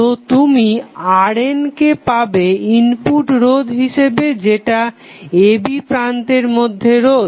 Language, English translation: Bengali, So, you will get R n as a input resistance which would be between terminal a and b